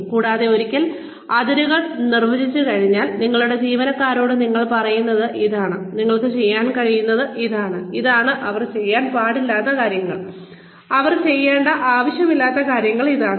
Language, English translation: Malayalam, And, once the boundaries are defined, and you tell your employees that, this is what they can do, and this is what they are not supposed to, what they do not need to do